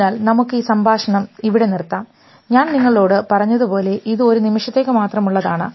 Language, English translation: Malayalam, So, we will stop at this speech as I already told you it is a sort of moment only